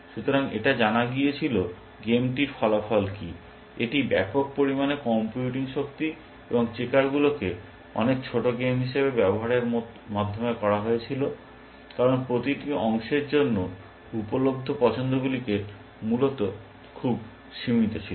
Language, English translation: Bengali, So, it was known, what the outcome of the game is, and this was done through use of massive amount of computing power, and checkers as the much smaller game, because the choices available for each piece are very limited essentially